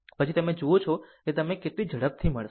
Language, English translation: Gujarati, Then you see how quickly you will get it